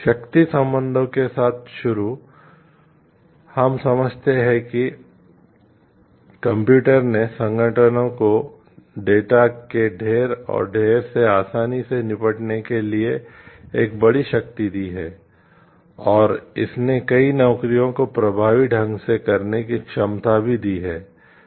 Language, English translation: Hindi, Starting with power relationships, we understand like computers have given like a huge power ability to the organizations to deal with in heaps and heaps of data easily and it has also given the capability to do many jobs effectively